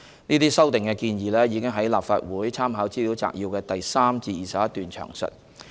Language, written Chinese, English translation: Cantonese, 這些修訂建議已於立法會參考資料摘要的第3段至第21段詳述。, The details of the proposed amendments are set out in paragraphs 3 to 21 of the Legislative Council Brief